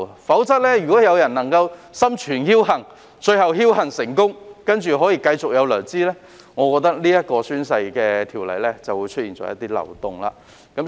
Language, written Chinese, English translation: Cantonese, 否則，如果有人心存僥幸，而且最後僥幸成功，並繼續收取薪酬，這項宣誓條例便是出現漏洞。, If someone who leaves things to chance finally succeeds to muddle through by mere luck and continue to get remunerated this will be a loophole of the oath - taking ordinance